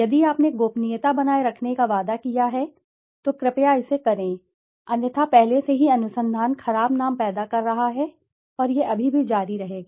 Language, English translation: Hindi, If you have promised to maintain the confidentiality, please, please do it, otherwise already the research has been generating bad name and it would still go on